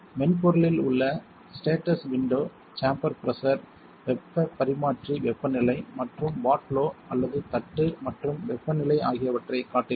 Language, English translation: Tamil, The status window within the software displays the chamber pressure, the heat exchanger temperature and the watt low or plate and temperature